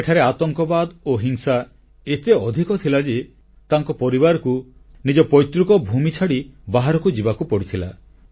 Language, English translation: Odia, Terrorism and violence were so widespread there that his family had to leave their ancestral land and flee from there